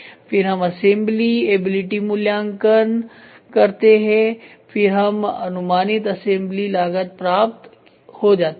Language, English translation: Hindi, Next we put scores assemblability evaluation score is done, then we will have approximate assembly cost